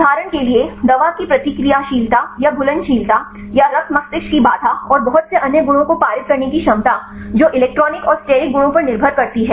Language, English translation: Hindi, For example the reactivity of the drug or the solubility or this ability to pass the blood brain barrier and lot of other properties that depends on the electronic and steric properties